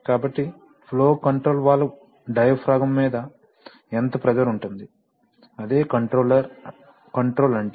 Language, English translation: Telugu, So what amount of pressure will be applied on the flow control valve diaphragm, that is what is control